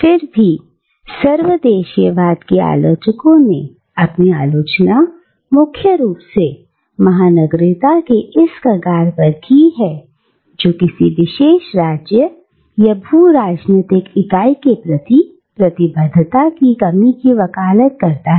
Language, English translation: Hindi, Yet, the critics of cosmopolitanismhave levied their criticism primarily at this strand of cosmopolitanism, which advocates a lack of commitment to any particular State or geopolitical entity